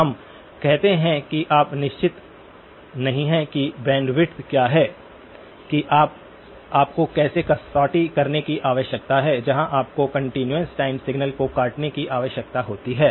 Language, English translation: Hindi, Let us say that you are not sure what is the bandwidth that you; how you need to cut off the; where you need to cut off the continuous time signal